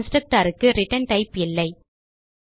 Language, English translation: Tamil, Constructor does not have a return type